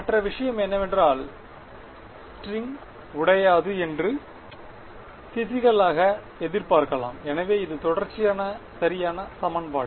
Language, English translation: Tamil, The other thing is that we physically expect that the string does not break, so that is equation of continuity right